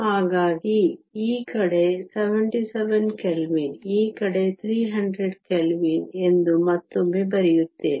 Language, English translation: Kannada, So, let me again write down this side is 77 Kelvin, this side is 300 Kelvin